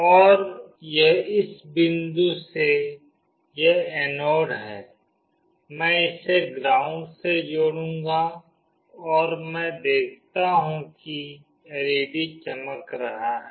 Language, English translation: Hindi, And this from this point, that is the anode, I will connect it to ground and I see that the LED is glowing